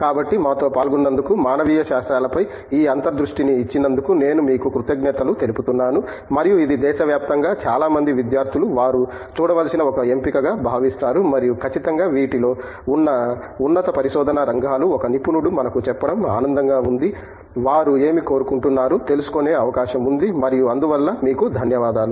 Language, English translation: Telugu, So, I would like to thank you for joining us and you know giving us this insight into humanities, which I think a lot of a students across the country consider as an option that they should look at and certainly for you know higher research in these areas, it is nice to have an expert tell us, what is it that they would like to, I mean likely to experience and so I thank you for that